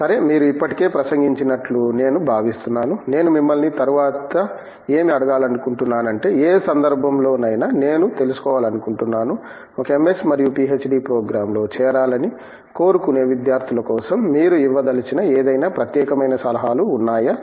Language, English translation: Telugu, Okay I think maybe you already sort of addressed, what I wanted to ask you next, but in any case I just wanted to know, are there any specific words of advice that you have for students who are aspiring to join an MS and PhD program in ocean engineering